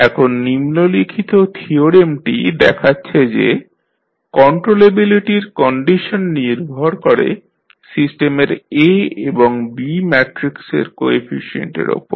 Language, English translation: Bengali, Now, the following theorem shows that the condition of controllability depends on the coefficient matrices A and B of the system